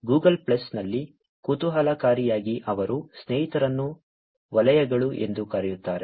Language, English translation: Kannada, In Google Plus interestingly they have the friends called as circles